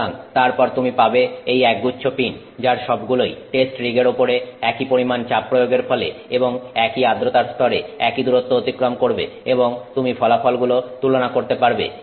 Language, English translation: Bengali, So, then you have these bunch of pins which have all traveled the same distance on this test rig with the same applied pressure and the same level of humidity and you can compare the results